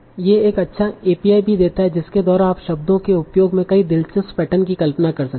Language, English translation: Hindi, Now, so they also give a nice API by which you can visualize many interesting patterns in the usage of words